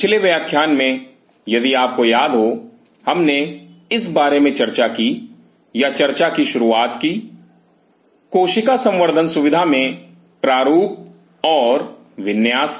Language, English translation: Hindi, Week last lecture if you recollect we talked about or started talking about the design or the layout of the cell cultural facility